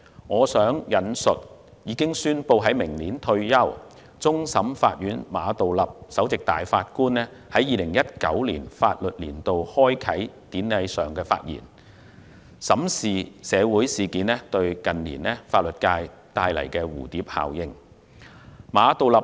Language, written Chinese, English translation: Cantonese, 我想引述已宣布明年退休的終審法院首席法官馬道立在2019年法律年度開啟典禮上的發言，審視社會事件近年對法律界帶來的蝴蝶效應。, I would like to quote the remarks made by Chief Justice of CFA Geoffrey MA who has announced his retirement next year at the Ceremonial Opening of the Legal Year 2019 and examine the butterfly effect of social incidents in recent years on the legal profession